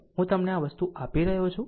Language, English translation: Gujarati, I am giving you this thing